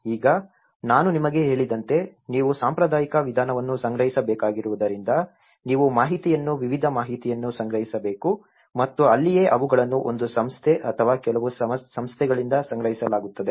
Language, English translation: Kannada, Now, as I said to you because you have to gather a traditional approach you have to gather a heap of information a variety of information and that is where they are based on by collected by one body or a few organizations